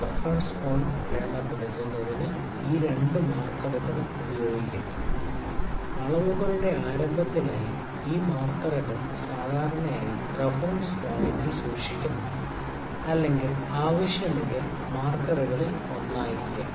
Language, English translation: Malayalam, These two markers are used to mark the reference point and for the start of the measurements these markers are generally kept at the reference point or may be one of the markers could be kept at the 0 as well if required